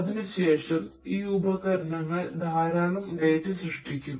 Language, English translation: Malayalam, Thereafter, these devices would generate lot of data